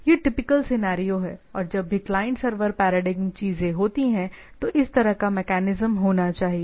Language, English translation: Hindi, So, this is the typical scenario and whenever whether whatever the client server paradigm things are there, that has to be the this sort of mechanism has to be there